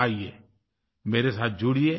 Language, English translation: Hindi, Come, get connected with me